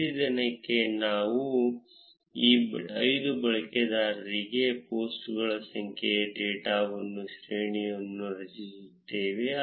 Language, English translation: Kannada, For each day, we will create a data array for the number of posts for each of these 5 users